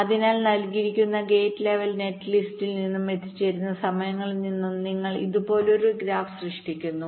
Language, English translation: Malayalam, so from the given gate level net list and the arrival times, you create a graph like this